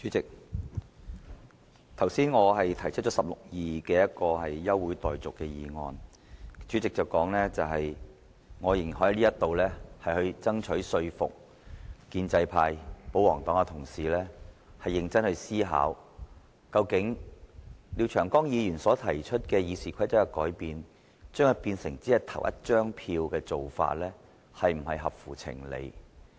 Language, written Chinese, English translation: Cantonese, 主席，我剛才根據《議事規則》第162條動議休會待續的議案，主席表示我仍然可在此爭取說服建制派、保皇黨的同事認真思考，究竟對於廖長江議員就《議事規則》提出的修訂，現時採取只是投一票的做法是否合乎情理？, President earlier on when I moved the adjournment motion under Rule 162 of the Rules of Procedure RoP the President said that I could still seize this opportunity to persuade Honourable colleagues in the pro - establishment or pro - Government camp to seriously think about whether this arrangement for Members to cast only one vote on the amendments proposed by Mr Martin LIAO to RoP is reasonable